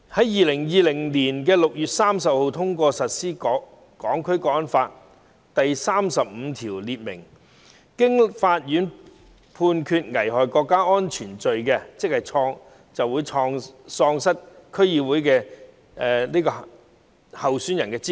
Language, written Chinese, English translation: Cantonese, 2020年6月30日通過實施的《香港國安法》的第三十五條訂明，任何人經法院判決犯危害國家安全罪行，即喪失區議會選舉候選人的資格。, Article 35 of the National Security Law enacted for implementation on 30 June 2020 provides that a person who is convicted of an offence endangering national security by a court shall be disqualified from standing as a candidate in DC elections